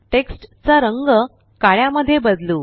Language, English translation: Marathi, Lets change the color of the text to black